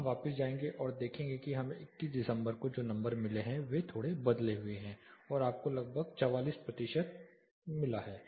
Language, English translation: Hindi, We will go back and see what we have got December 21st same numbers are slightly changed you get around 44 percent